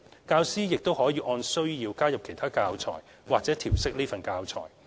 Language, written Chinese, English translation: Cantonese, 教師亦可按需要加入其他教材或調適此份教材。, Teachers may adapt the above mentioned teaching materials or use other teaching materials as they see fit